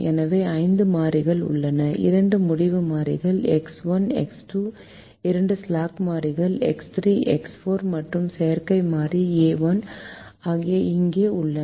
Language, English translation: Tamil, so there are five variables: the two decision variables, x one, x two, the two slack variables, x, three, x four, and the artificial variable, a, one that we have here